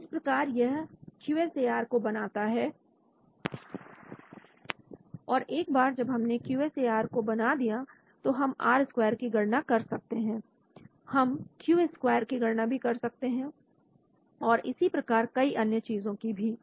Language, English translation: Hindi, So that is how it generates the QSAR and once it generates the QSAR we can calculate R square, we can calculate Q square, so many things